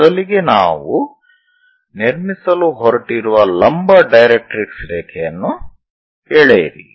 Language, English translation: Kannada, So, first of all draw a directrix line a vertical directrix line we are going to construct